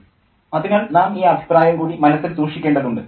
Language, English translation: Malayalam, So we need to keep this comment in mind as well